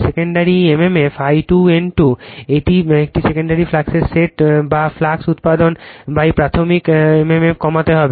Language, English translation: Bengali, The secondary mmf I 2 N 2 sets of a secondary flux that tends to reduce the flux produce by the primary mmf